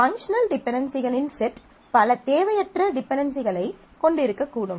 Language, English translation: Tamil, A set of functional dependencies may have a number of redundant dependencies also